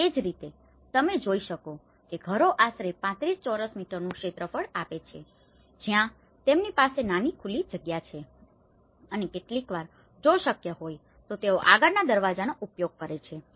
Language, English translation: Gujarati, And similarly, you can see that houses they are giving about 35 square meter area of a house, where they have a small open space and sometimes using the previous doors if they have